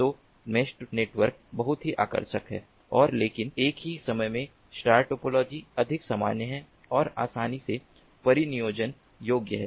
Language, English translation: Hindi, so mesh networks are very ah ah, very attractive and but at the same time star topology is more common and are easily deployable